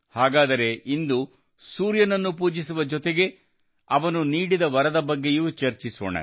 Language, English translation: Kannada, So today, along with worshiping the Sun, why not also discuss his boon